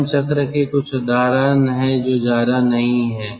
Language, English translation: Hindi, there are certain example of closed cycle